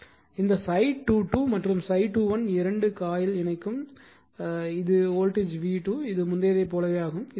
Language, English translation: Tamil, So, this phi 2 2 and phi 2 1 both linking coil 2 and this is the voltage v 2 this is your same as before